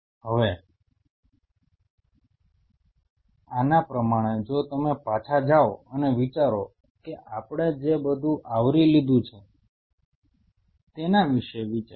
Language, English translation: Gujarati, And now in the light of this if you go back and think what all we covered think over it